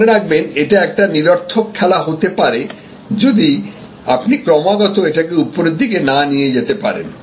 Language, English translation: Bengali, Remember, that this can be a futile game, if you are not constantly pushing this upwards